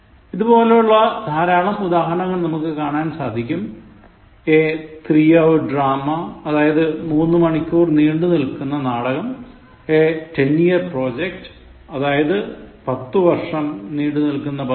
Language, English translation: Malayalam, We have plenty of other examples like, a three hour drama which means a drama that lasted for three hours, a ten year project again it implies a project that will last for ten years